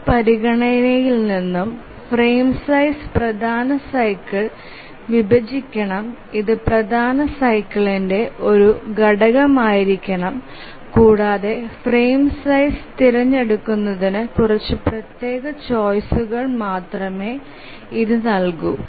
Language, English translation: Malayalam, And from this consideration we get the condition that the frame size should divide the major cycle, it should be a factor of the major cycle, and that gives us only few discrete choices to select the frame size